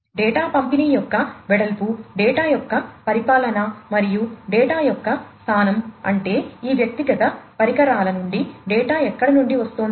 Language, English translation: Telugu, Breadth of distribution of the data, governance of the data, and the location of the data meaning that where from the data are coming from these individual devices